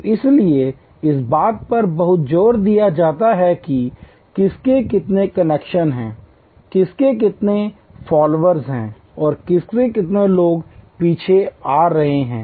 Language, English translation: Hindi, So, that is why there is so much of emphasize on who has how many connections, who has how many followers and how many people are you following